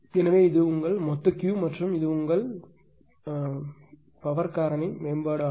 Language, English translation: Tamil, So, this is your total Q and this is your after power factor improvement